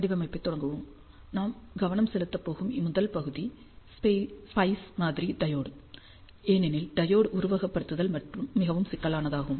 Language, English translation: Tamil, ah Let us start the design the first part that we are going to focus is the SPICE model of the diode, because the diode simulation is very critical